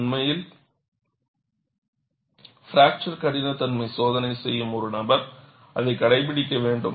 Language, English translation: Tamil, And, in fact, a person performing the fracture toughness testing has to adhere to that